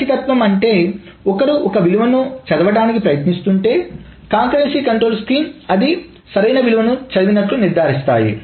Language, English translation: Telugu, The correctness meaning if one is trying to read a value that it should read, concurrency control schemes ensure that it reads the correct value